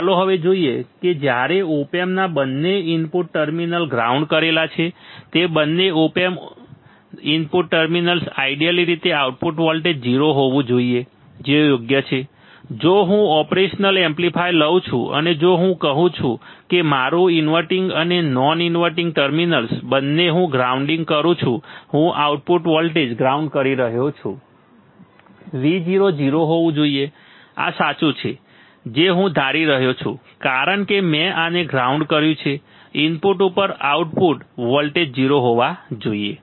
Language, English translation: Gujarati, Let us see now when both the terminals both the input terminals are grounded both the input terminals of what both the input terminals of op amp both the input terminals of op amps are grounded ideally the output voltage should be 0 that is correct right, if I take the operation amplifier and if I say that my inverting and non inverting terminals both I am grounding both I am grounding the output voltage should be V o should be 0 correct this is what I am assuming because I have grounded this I have grounded this no voltage at the input output should be 0